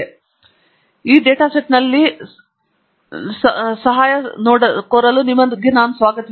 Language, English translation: Kannada, Again, I welcome you to look up the help on this data set